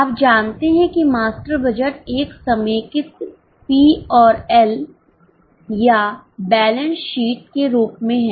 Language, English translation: Hindi, You know that master budget is in a form of a consolidated P&L or a balance sheet